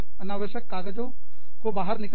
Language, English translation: Hindi, Take out the unnecessary papers